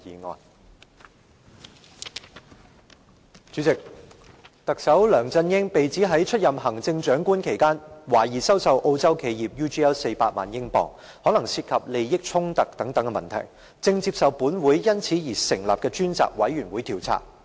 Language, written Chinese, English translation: Cantonese, 代理主席，特首梁振英被指在出任行政長官期間，涉嫌收受澳洲企業400萬英鎊，可能涉及利益衝突，正接受立法會因此而成立的專責委員會調查。, Deputy President Chief Executive LEUNG Chun - ying is accused of accepting £4 million from the Australian firm UGL during his tenure as the Chief Executive . As it may involve a conflict of interest LEUNG Chun - ying is under inquiry by the Select Committee of the Legislative Council